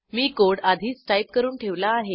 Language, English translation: Marathi, I have already written the code